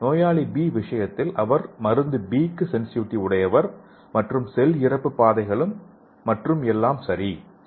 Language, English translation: Tamil, And in case of patient B, he is sensitive to drug B and cell death pathways and everything is okay